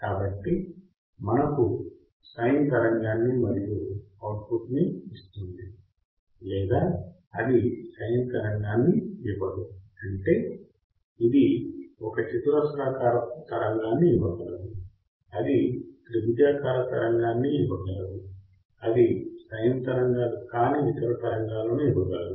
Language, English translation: Telugu, So, either it will give us the sin wave and the output, or it will not give a sin wave; that means, it can give a square wave it can give a triangular wave it can give any other waves which are not sin ways